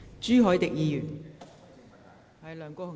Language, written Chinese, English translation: Cantonese, 朱凱廸議員，請發言。, Mr CHU Hoi - dick please speak